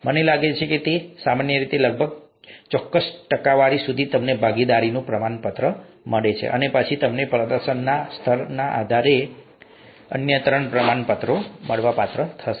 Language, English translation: Gujarati, I think it's typically, till about a certain percentage, you get the participation certificate and then you get three other certificates depending on the level of performance